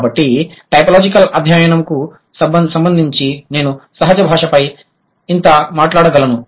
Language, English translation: Telugu, So, that's all I can talk about as far as typological studies concerned for the natural language